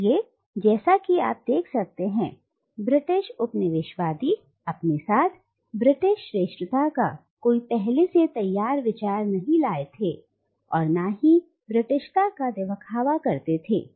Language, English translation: Hindi, So, as you can see, the British colonisers did not bring with them any readymade idea of British superiority or exalted Britishness